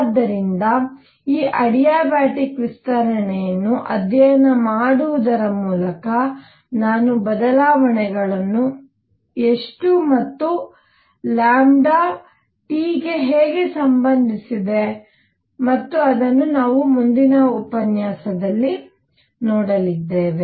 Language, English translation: Kannada, So, I can actually by studying this adiabatic expansion I can relate how much is the changes is lambda and how is that lambda related to T and that is what we ended and we are going to do it next